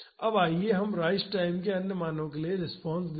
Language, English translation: Hindi, Now, let us see the response for other values of rise time